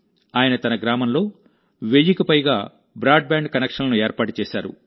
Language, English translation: Telugu, He has established more than one thousand broadband connections in his village